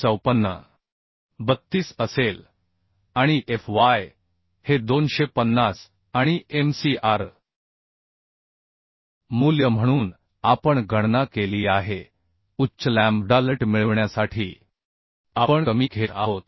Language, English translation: Marathi, 32 and Fy as 250 and Mcr value we have calculated we are taking the lesser one to get higher lambda LT so that the Lesser Fbd value we obtain for 92